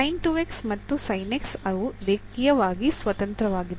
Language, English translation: Kannada, So, sin 2 x and sin x they are linearly independent